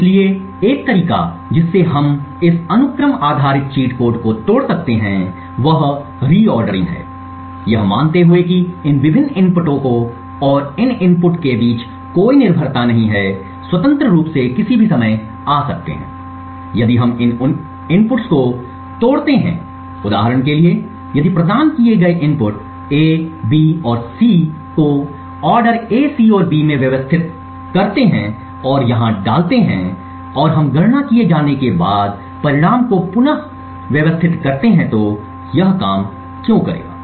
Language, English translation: Hindi, So one way by which we can break this sequence based cheat codes is by reordering assuming that there is no dependency between these various inputs and any input in can independently come at any time if we break these inputs for example if the inputs provided in A, B and C order which is reordered the inputs like this into A C and B and feed it here and we reorder the results back after the computation is done